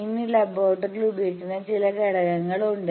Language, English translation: Malayalam, Now, there are some components used in the laboratory